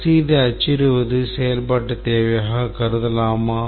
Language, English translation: Tamil, Is printing the receipt, can be considered as a functional requirement